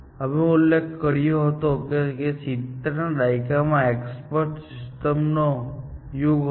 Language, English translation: Gujarati, We had mentioned that in the 70s, was the area of what we call as expert systems